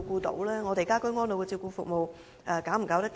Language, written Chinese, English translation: Cantonese, 居家安老的照顧服務能否應付？, Can the care service for people ageing in place cater for their such needs?